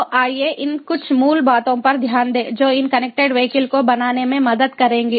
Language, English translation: Hindi, so let us look at some of this basics which will help in building this connected vehicles